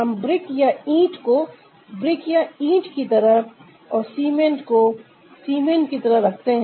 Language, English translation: Hindi, we keep brick as brick, we keep cement as cement